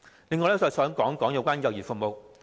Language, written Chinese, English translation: Cantonese, 此外，我亦想談談幼兒服務。, In addition I also wish to talk about child care services